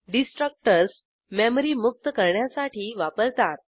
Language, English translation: Marathi, Destructors are used to deallocate memory